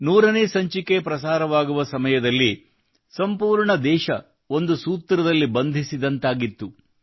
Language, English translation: Kannada, During the broadcast of the 100th episode, in a way the whole country was bound by a single thread